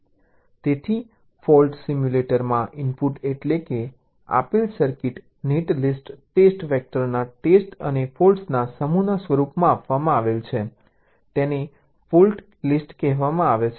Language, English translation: Gujarati, so the input to a fault simulator are, of course, the given circuit in the form of a netlist, set of test vectors and a set of faults